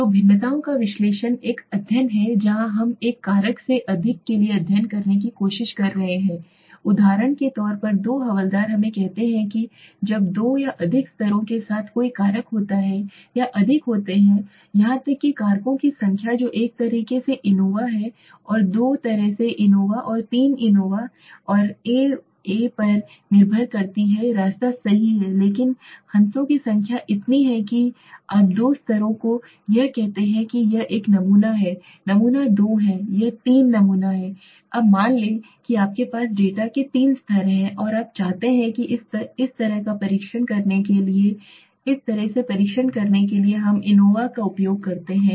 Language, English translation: Hindi, So the analysis of variances is a study where we are trying to study for a factor with more than two lavels for example let us say when there is a factor with two or more levels or there are more even number of factors that depends one way anova and two way anova and three anova and n way right but the number of lavels so suppose you have let say two levels this is sample one this is sample two this is sample three now suppose you have three levels of data right and you want to test it so in such kind of test we use the anova